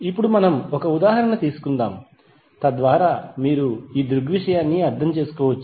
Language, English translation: Telugu, Now let’s take one example, so that you can understand the phenomena